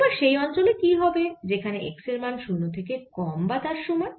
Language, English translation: Bengali, how about for region x less than or equal to zero